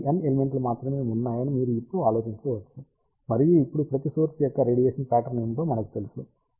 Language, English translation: Telugu, So, you can now think about there are only N elements and we know what is the radiation pattern of each element now